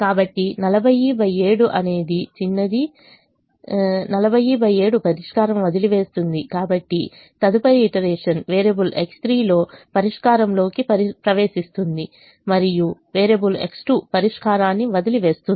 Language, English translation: Telugu, so in the next iteration variable x three will enter the solution and variable x two will leave the solution